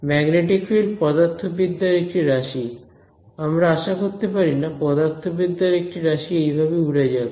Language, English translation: Bengali, It is a magnetic field, it is a physical quantity and we do not expect a physical quantity to blow up